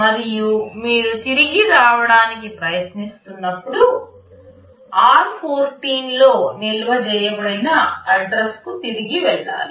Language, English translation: Telugu, And when you are trying to return back, you will have to jump back to the address that is stored in r14